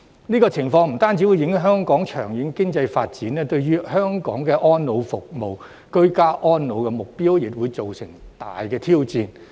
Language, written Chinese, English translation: Cantonese, 這種情況不單會影響香港的長遠經濟發展，對於香港的安老服務、居家安老目標，亦會造成極大挑戰。, This situation will not only affect Hong Kongs long - term economic development but will also pose a great challenge to our elderly care services and the goal of ageing in place